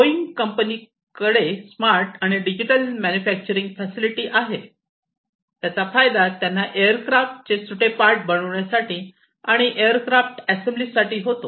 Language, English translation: Marathi, So, they have the smart and digital manufacturing facility, which helps in the assembly of millions of aircraft parts